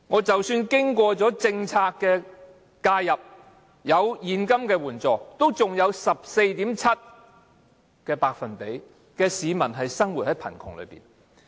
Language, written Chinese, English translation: Cantonese, 即使經過政策介入，讓一些人得到現金援助，但仍然有 14.7% 的市民生活於貧窮之中。, Even after the policy intervention of giving cash assistance to some people 14.7 % of the people still live in poverty